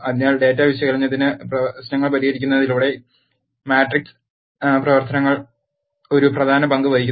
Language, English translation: Malayalam, So, matrix operations play a key R important role by solving the data analysis problems